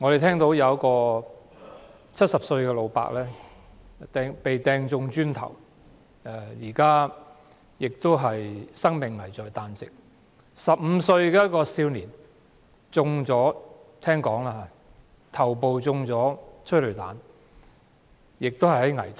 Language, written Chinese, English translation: Cantonese, 據聞，一名70歲的老伯被磚塊擲中，生命危在旦夕；一名15歲青少年的頭部被催淚彈射中，情況危殆。, As reported an old man aged 70 was hit by a brick and his life is now on the line; and a 15 - year - old youngster was shot in the head by a tear gas canister and he is now in a critical condition